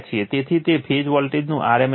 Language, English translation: Gujarati, So, it is rms value of the phase voltage